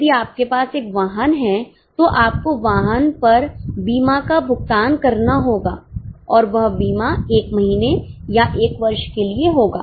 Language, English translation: Hindi, If you have a vehicle you have to pay insurance on the vehicle and that insurance will be for one month or for one year